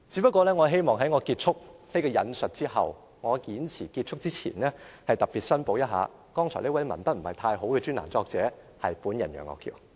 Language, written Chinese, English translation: Cantonese, 不過，我希望在我結束引述這段文章後，在我的演辭結束前特別申報一下，剛才這位文筆不太好的專欄作者是本人楊岳橋。, But after quoting from the article and before ending my speech I need to declare one thing . The columnist whose language is not particularly impressive is named Alvin YEUNG